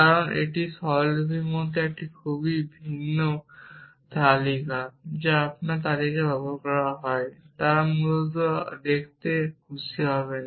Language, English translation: Bengali, Because it is a very uniform list like notation which those of you who are use list put be happier to look at essentially